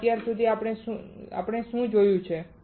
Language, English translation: Gujarati, So, until now what we have seen